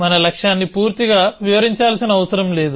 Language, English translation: Telugu, We do not necessarily describe the goal completely